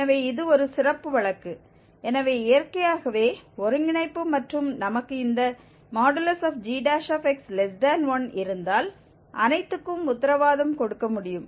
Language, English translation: Tamil, So, this is a special case, so naturally the convergence and all can be guaranteed if we have this g prime x less than 1